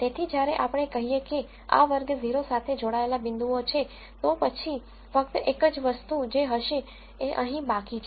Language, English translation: Gujarati, So, when we take let us say these points belonging to class 0 then I said the only thing that will be remaining is here